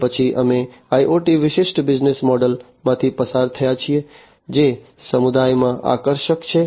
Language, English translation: Gujarati, Thereafter, we have gone through the IoT specific business models that are attractive in the community